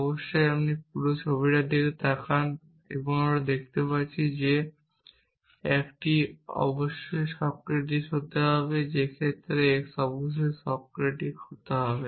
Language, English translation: Bengali, Off course we look at this whole picture and we can see that a must be Socratic in that case of that x must be Socratic